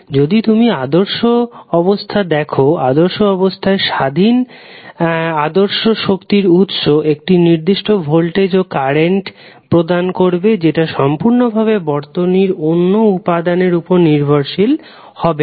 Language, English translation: Bengali, So, if you see the ideal condition in ideal condition the ideal independent source will provide specific voltage or current that is completely independent of other circuit elements